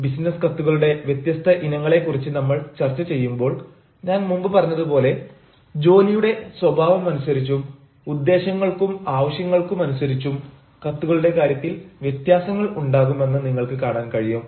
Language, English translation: Malayalam, when we talk about the types of business letters, you will find that, as i have said earlier, depending upon the nature of job, depending upon the purpose and depending upon the needs, there will be differences in terms of the letters